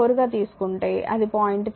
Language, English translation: Telugu, 4 it should be 0